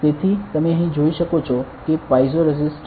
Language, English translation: Gujarati, So, you can see here that there are piezo resistors ok